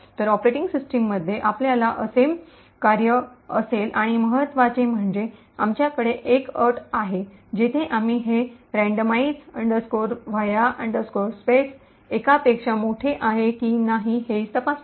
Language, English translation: Marathi, So, in the operating system you would have a function like this and importantly for us there is a condition, where we check whether this randomize va space is greater than one